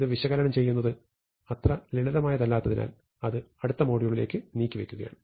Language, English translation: Malayalam, To analysis this, is not so straight forward, so we will postpone that to the next module